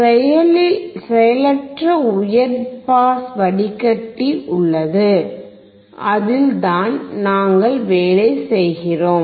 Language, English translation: Tamil, There is a high pass passive filter, that is what we are working on